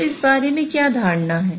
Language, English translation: Hindi, So, what is the notion of this